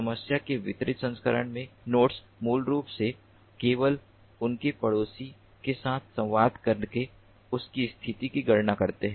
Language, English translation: Hindi, in distributed version of the problem, the nodes basically compute their position by communicating with their neighbors only